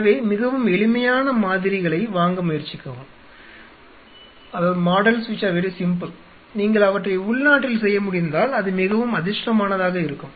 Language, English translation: Tamil, So, try to by models which are very simple and which are kind of if you can get them made locally where very fortunate